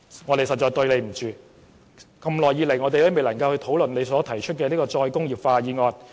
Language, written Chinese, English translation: Cantonese, 我們實在對不起吳永嘉議員，過了這麼久仍未能討論他提出的"再工業化"議案。, We must apologize to Mr Jimmy NG for we are still unable to discuss his motion on re - industrialization after such a long time